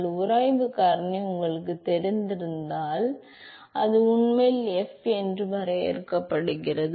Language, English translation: Tamil, So, if you know the friction factor, if you know friction factor that is actually defined as f